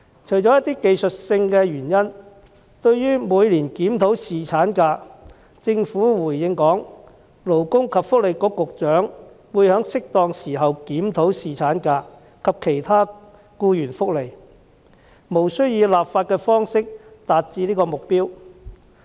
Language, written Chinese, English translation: Cantonese, 除一些技術性的原因外，對於每年檢討侍產假，政府回應指勞工及福利局局長會在適當時候檢討侍產假及其他僱員福利，無須以立法的方式達致此目標。, Apart from putting forth certain reasons of technicality the Governments reply regarding an annual review of paternity leave points out that the Secretary for Labour and Welfare will review paternity leave and other employee benefits as and when appropriate and that it is not necessary to achieve this objective by enacting legislation